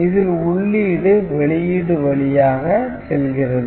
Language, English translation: Tamil, So, it is just input is passing through to the output